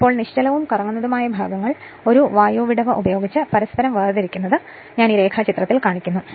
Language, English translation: Malayalam, Now, the stationary and rotating parts are separated from each other by an air gap just I show in the diagram right